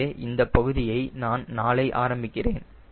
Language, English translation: Tamil, so this part i will talk tomorrow